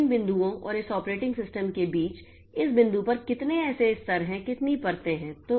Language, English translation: Hindi, So, between these applications and this operating system, how many layers are there